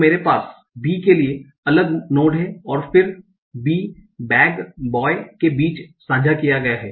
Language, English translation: Hindi, So, I have different nodes for B and then the B shared among bag and boy